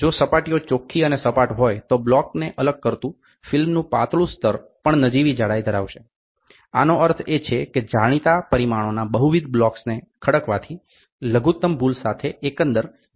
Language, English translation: Gujarati, If the surfaces are clean and flat the thin layer of film separating the block will also have negligible thickness this means that stacking of multiple blocks of known dimensions will give the overall dimension with minimum error